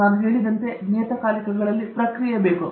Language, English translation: Kannada, As I mentioned, in journals that is the process